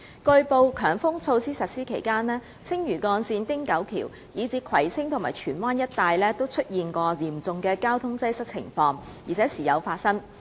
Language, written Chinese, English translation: Cantonese, 據報，強風措施實施期間，青嶼幹線、汀九橋，以至葵青和荃灣一帶出現嚴重交通擠塞的情況時有發生。, It has been reported that serious traffic congestion occurred from time to time at the Lantau Link and the Ting Kau Bridge as well as in areas within and surrounding Kwai Ching and Tsuen Wan while HM measures were in force